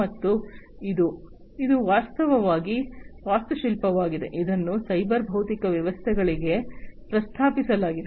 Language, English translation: Kannada, And this is actually an architecture, which has been proposed for cyber physical systems